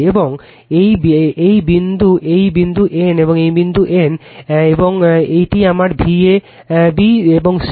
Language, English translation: Bengali, And this is your what you call say this is my v a, b and c